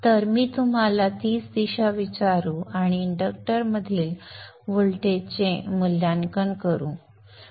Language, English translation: Marathi, So let me assume the same direction and evaluate for the voltage across the inductor